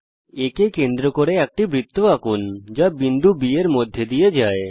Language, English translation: Bengali, Lets construct a circle with center A and which passes through point B